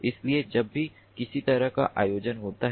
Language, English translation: Hindi, so whenever there is some kind of event, ah